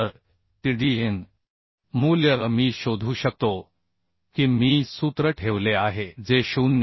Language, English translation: Marathi, 307 So Tdn value I can find out if I put in the formula that is 0